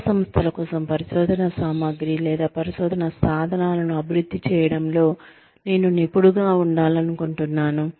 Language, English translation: Telugu, I would like to be an expert, in developing research material, or research tools, for academic institutions